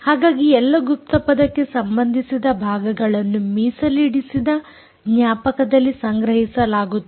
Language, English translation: Kannada, so all password related parts are stored in in the reserved memory